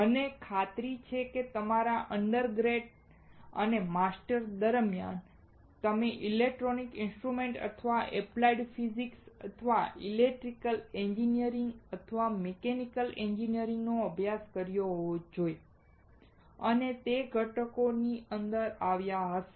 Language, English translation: Gujarati, I am sure that during your undergrad or masters, you must have studied electronics instrumentation or applied physics or electrical engineering or mechanical engineering, and have come across discrete components